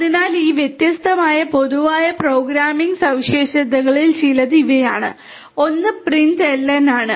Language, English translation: Malayalam, So, you know these are some of these different common programming you know programming features that are there one is this println